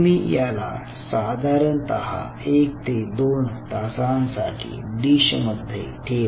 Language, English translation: Marathi, now you leave this in a dish for approximately one to two, two hours